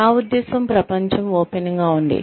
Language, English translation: Telugu, I mean, the world is open